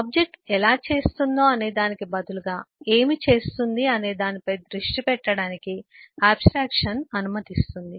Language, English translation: Telugu, abstraction will allow focusing on what the object does instead of how it does it